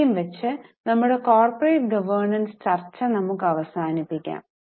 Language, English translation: Malayalam, So, with this we will stop our discussion on corporate governance